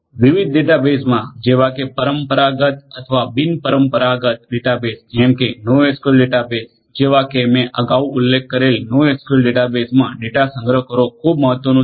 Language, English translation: Gujarati, Storing the data in different databases traditional or non traditional data bases such as the NoSQL databases that I mentioned earlier is very important